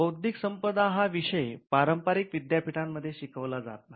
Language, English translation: Marathi, Intellectual property is not a subject that is traditionally taught in universities